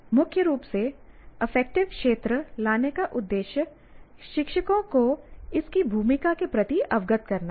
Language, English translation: Hindi, The purpose of bringing the affective domain is predominantly to sensitize the teachers to the role of this